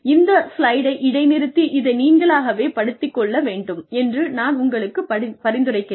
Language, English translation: Tamil, I suggest you, just you know, pause at this slide, and go through it, on your own